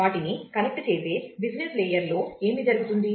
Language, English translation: Telugu, What happens in the business layer which connects them